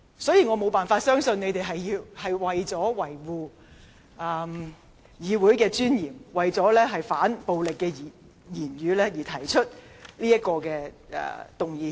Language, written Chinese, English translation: Cantonese, 所以，我無法相信他們是為了維護議會尊嚴和反對暴力言論而提出譴責議案。, So I cannot believe they propose the censure motion for the purpose of safeguarding the dignity of the legislature and opposing verbal violence